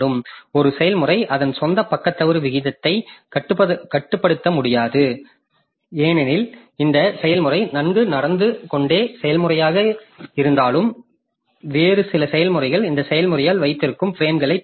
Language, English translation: Tamil, A process cannot control its own page fault rate because even if this process is a well behaved process, some other processes they may grab the frames held by this process